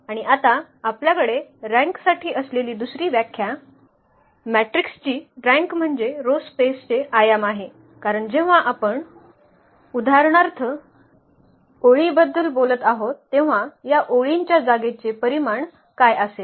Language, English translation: Marathi, And the another definition which we have now for the rank, the rank of the matrix is the dimension of the row space because when we are talking about the rows for instance, so what will be the dimension of these rows space